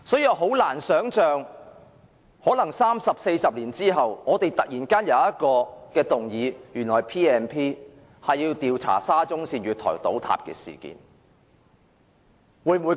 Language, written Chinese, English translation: Cantonese, 我難以想象三四十年後，我們要引用《條例》動議議案，調查沙中線月台倒塌事件。, It is hard for me to imagine that 30 or 40 years later we will have to move a motion to invoke the Ordinance to inquire into the collapse of an SCL platform